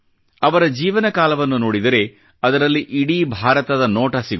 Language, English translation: Kannada, A glimpse of his life span reflects a glimpse of the entire India